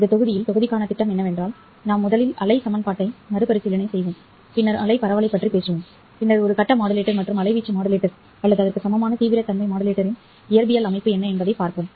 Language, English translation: Tamil, The plan for the module is that we will first review wave equation and then talk about wave propagation and then see what is the physical structure of a face modulator and amplitude modulator or equivalently intensity modulator